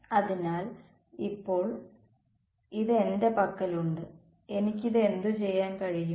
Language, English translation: Malayalam, So, now, that I have this what can I do with it